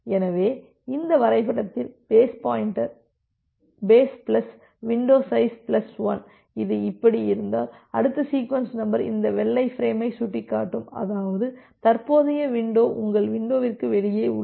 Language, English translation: Tamil, So, here actually in this diagram, base plus window size plus 1 if it is like this so, if you the next sequence number is pointing to this white frame; that means, it is out of your window, current window